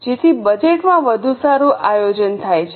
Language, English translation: Gujarati, So, much better planning happens in budget